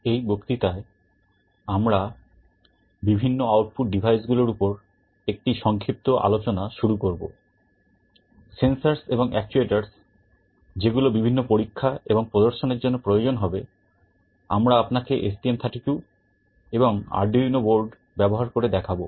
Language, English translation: Bengali, In this lecture, we shall be starting with a brief discussion on the various output devices, sensors and actuators, which will be required for the experiments and demonstrations that we shall be showing you using the STM32 and Arduino boards